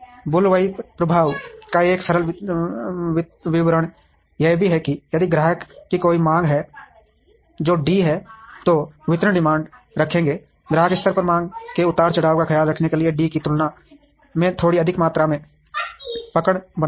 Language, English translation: Hindi, A simple explanation to the bullwhip effect is that if there is a customer demand which is D, then the distributors will hold a demand will hold the quantity of slightly more than D, to take care of the demand fluctuation at the customer level